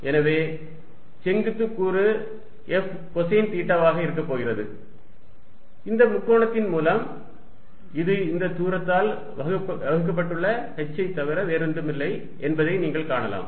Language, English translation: Tamil, And therefore, vertical component is going to be F cosine of theta, which by this triangle you can see it is nothing but h divided by this distance